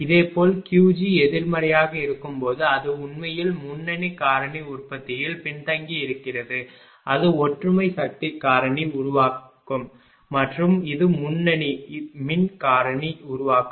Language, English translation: Tamil, Similarly, when Q g negative it is actually leading it is lagging power factor generation it is unity power factor generation and this is leading power factor generation right